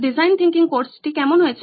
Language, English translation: Bengali, How did the design thinking course go